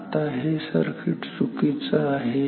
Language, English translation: Marathi, Now, this circuit is wrong